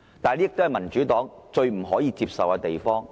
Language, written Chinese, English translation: Cantonese, 這便是民主黨最不可以接受的事情。, This is what the Democratic Party refuses to accept